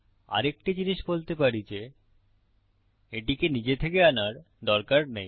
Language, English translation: Bengali, Another thing to add is that, it does not need to be called on its own